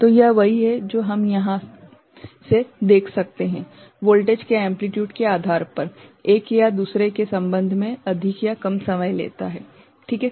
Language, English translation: Hindi, So, this is what we can see from here, depending on the amplitude of the voltage right, it takes more or less time ok, with respect to one another, right